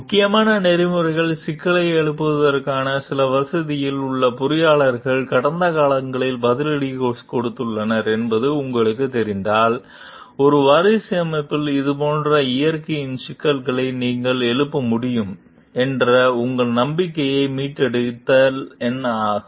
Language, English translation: Tamil, Like if you know that engineers at some facility have been retaliated against in the past for raising important ethical issues, what would it take to restore your trust that you could raise issues of a similar nature at a successor organization